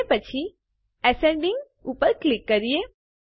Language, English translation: Gujarati, And then click on ascending